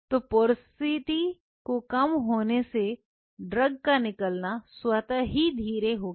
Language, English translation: Hindi, So, the porosity is less then automatically the release of the drug will be slow